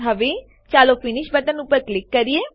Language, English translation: Gujarati, Now lets click on the Finish button